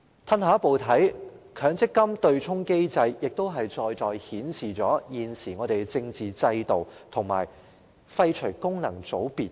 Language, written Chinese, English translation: Cantonese, 退一步來看，強積金對沖機制在在顯示現行政治制度有必要廢除功能界別。, If we take a step back we will clearly see the need to abolish functional constituencies FCs in the existing political system because of the presence of the MPF offsetting mechanism